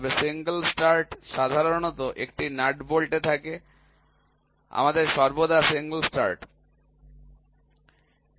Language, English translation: Bengali, And single start is generally in a nut bolt we always have a single start